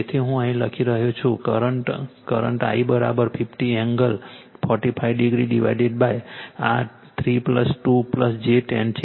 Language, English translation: Gujarati, So, the current I am writing here current I is equal to your 50 angle 45 degree divided by this is 3 plus 2 plus j 10 right